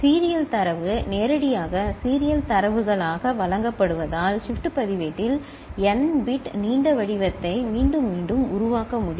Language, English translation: Tamil, With serial data out fed back directly as serial data in which shift register can generate up to n bit long pattern repeatedly, repetitively